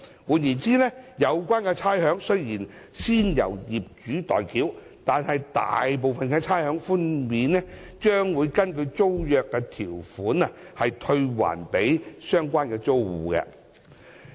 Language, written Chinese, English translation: Cantonese, 換言之，有關差餉雖然先由業主代繳，但大部分的差餉寬免將根據租約條款退還予相關租戶。, In other words most of the rates concessions will be rebated to the tenants concerned in accordance with the provisions of tenancy agreements although the owners remain as ratepayers